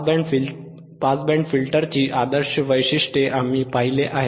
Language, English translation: Marathi, In Band Pass Filter action we have seen that is correct sentence